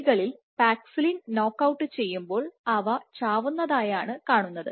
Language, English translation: Malayalam, And what has been observed is when you knock out paxillin in mice the mice died